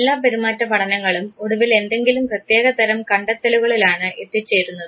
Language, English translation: Malayalam, All behavioral studies at the end they would come forward with certain type of findings